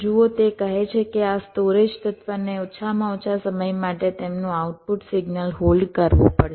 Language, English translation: Gujarati, see, it says that this storage element will have to hold their output signal for a minimum period of time